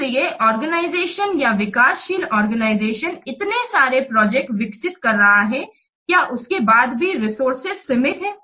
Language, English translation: Hindi, So, since the organization or this project development developing organization is developing so many projects, but the resources are limited